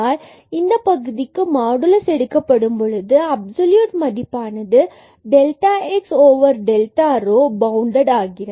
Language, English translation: Tamil, So, the modulus of this term so, absolute value of this delta x over delta rho is bounded by 1